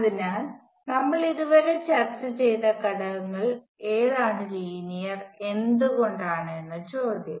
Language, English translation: Malayalam, So, the question is which of the elements is linear among the elements we have discussed so far and why